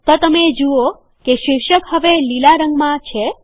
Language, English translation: Gujarati, So you see that the heading is now green in color